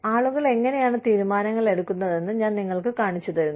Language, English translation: Malayalam, I just show you, how people make decisions